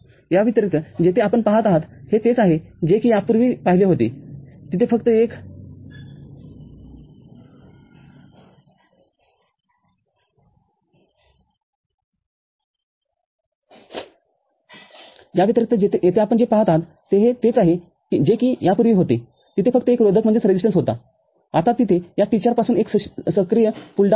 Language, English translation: Marathi, In addition, over here what you see, is that earlier there was only a resistance, from this T 4 now there is an active pull down